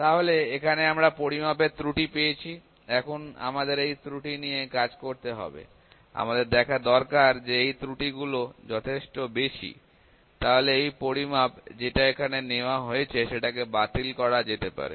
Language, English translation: Bengali, So, this here we get the measurement error; now we need to work on the measurement errors, we need to see that the errors that we are getting that we are getting here are these error high enough So, that we can reject the measurement that we have taken